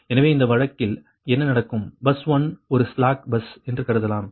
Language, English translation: Tamil, for this case also will assume that bus one is a slack bus